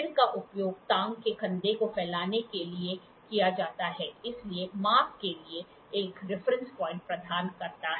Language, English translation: Hindi, The head is used to span the shoulder of the recess, therefore, providing a reference point for the measurement